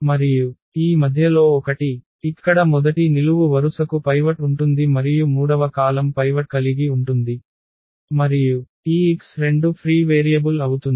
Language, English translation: Telugu, And this middle one so, here the first column will have a pivot and the third column has a pivot and this x 2 is going to be the free variable